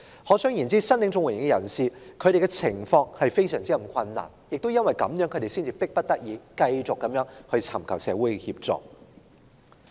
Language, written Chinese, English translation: Cantonese, 可想而知，申領綜援的人士的情況非常困難，而他們亦是因此才迫不得已繼續尋求社會協助。, We can therefore imagine the dire straits of CSSA recipients and they continue to seek social assistance only because they are left with no choice